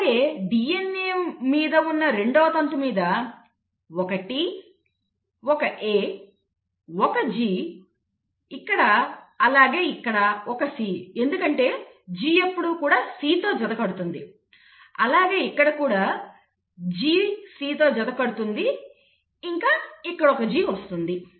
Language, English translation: Telugu, Now the other sister strand on the DNA will obviously be having a T, a A, a G here, here it will have a C because G pairs with a C, here again G pairs with a C and here you have a G